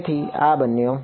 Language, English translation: Gujarati, So, this became this